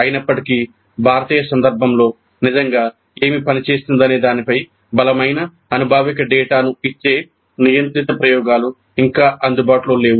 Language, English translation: Telugu, Still, controlled experiments giving us strong empirical data on what really works particularly in Indian context is not at available